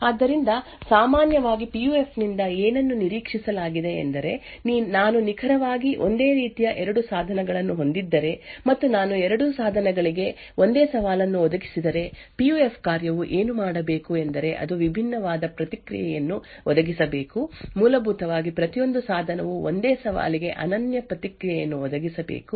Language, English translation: Kannada, So, typically what is expected of a PUF is that if I have two devices which are exactly identical and I provide the same challenge to both the devices, then what a PUF function should do is that it should provide a response which is different, essentially each device should provide a unique response for the same challenge